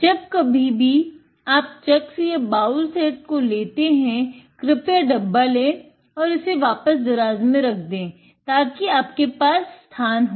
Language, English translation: Hindi, Whenever, you have taking the chucks and the bowl set, please take the box and put it back into the drawer so that you have room